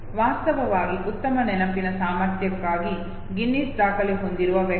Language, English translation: Kannada, In fact the person who holds the Guinness book of records for the best memory ability okay